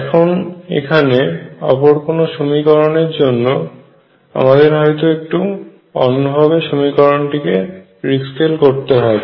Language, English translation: Bengali, They could be some other equations where you have to rescale slightly differently